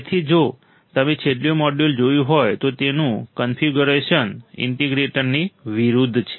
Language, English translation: Gujarati, So, if you have seen the last module, its configuration is opposite to an integrator